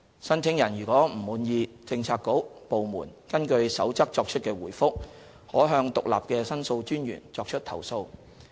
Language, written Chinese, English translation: Cantonese, 申請人如不滿意政策局/部門根據《守則》作出的回覆，可向獨立的申訴專員作出投訴。, If the requestor is not satisfied with the response made by a bureaudepartment under the Code heshe may lodge a complaint to The Ombudsman who is an independent body